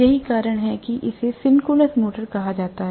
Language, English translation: Hindi, That is the reason why it is called as the synchronous motor